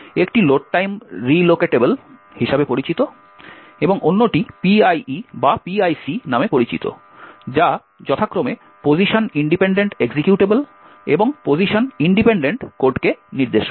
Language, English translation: Bengali, Essentially, there are two ways to achieve this, one is known as the Load Time Relocatable and the other one is known as the PIE or PIC which stands for Position Independent Executable and Position Independent Code respectively